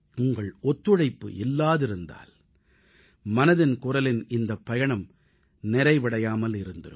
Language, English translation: Tamil, Without your contribution and cooperation, this journey of Mann Ki Baat would have been incomplete